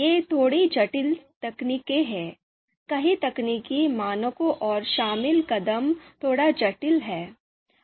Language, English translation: Hindi, Slightly complex techniques, several technical parameters and the steps that are involved are slightly complex